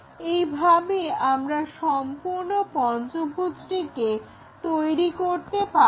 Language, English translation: Bengali, In that way we will be in a position to construct this pentagon